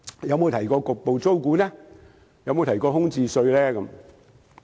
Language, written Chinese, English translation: Cantonese, 有否提到局部租管、空置稅呢？, Has it ever mentioned partial rent control or a levy on both vacant shops and flats?